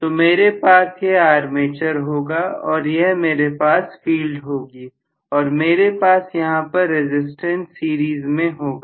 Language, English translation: Hindi, So I may have this as the armature and I am going to have this as the field and I may have a resistance in series